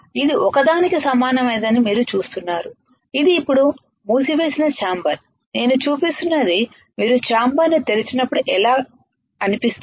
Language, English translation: Telugu, You see this is similar to this one alright, this is the closed chamber now what I am showing is when you open the chamber how it looks like alright